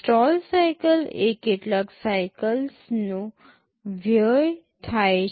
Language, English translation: Gujarati, Stall cycle means some cycles are wasted